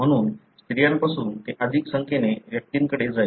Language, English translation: Marathi, So therefore, from female it will go to more number of individuals